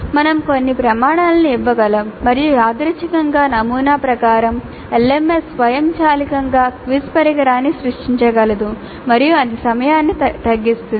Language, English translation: Telugu, We can give certain criteria and randomly according to that pattern the LMS can create a quiz instrument automatically and that would reduce the time